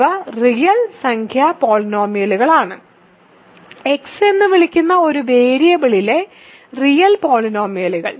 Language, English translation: Malayalam, So, these are real number polynomials; real polynomials in one variable called X